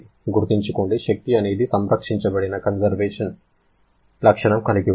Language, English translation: Telugu, Remember, energy is a conserved property